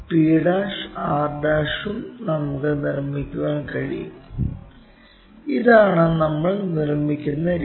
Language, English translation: Malayalam, And p' r' also we can construct p' r'; this is the way we construct it